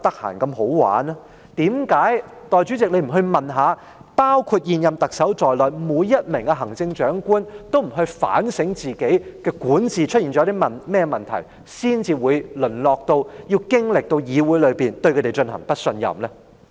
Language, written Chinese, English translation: Cantonese, 為何代理主席你不去問一下，是否包括現任特首在內的每位行政長官都不反省自己管治出現了甚麼問題，才會淪落到要經歷議會對他們提出的不信任議案呢？, Why do you Deputy President not go and ask if it is because every Chief Executive including the incumbent have failed to reflect on the problems with their governance that they have degenerated to a state where they have to face a no - confidence motion against them in this Council?